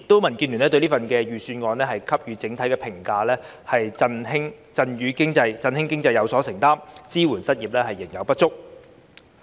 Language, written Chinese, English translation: Cantonese, 民建聯對這份預算案的整體評價是"振興經濟有所承擔，支援失業仍有不足"。, The general comment of the Democratic Alliance for the Betterment and Progress of Hong Kong DAB on this Budget is It is committed to stimulating the economy but deficient in unemployment support